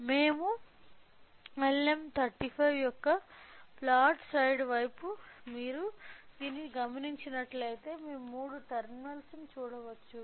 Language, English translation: Telugu, If you observe this when we are facing towards the flat side of LM35 we can see the three terminals